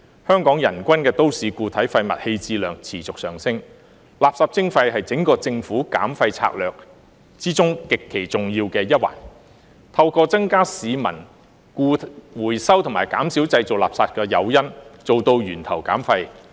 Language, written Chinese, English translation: Cantonese, 香港人均都市固體廢物棄置量持續上升，垃圾徵費是政府整項減廢策略中極其重要的一環，透過增加市民回收和減少製造垃圾的誘因，做到源頭減廢。, As the per capita municipal waste disposal in Hong Kong keeps rising waste charging is an extremely important component of the Governments overall waste reduction strategy which aims to reduce waste at source by increasing the peoples incentives to engage in recycling and create less waste